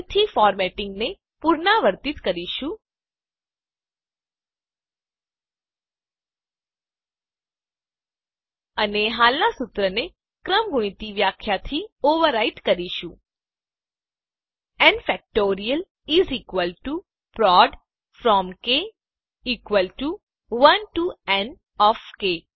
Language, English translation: Gujarati, Again, we will repeat the formatting and overwrite the existing formula with the factorial definition: N factorial is equal to prod from k = 1 to n of k